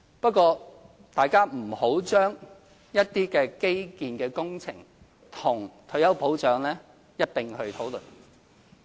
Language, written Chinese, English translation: Cantonese, 不過，大家不要將一些基建工程與退休保障一併討論。, However Members should not discuss certain infrastructure projects and retirement protection in the same breath